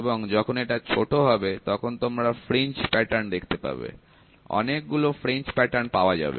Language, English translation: Bengali, And when this is less so, you can see the fringe pattern, number of patterns are more number of patterns are less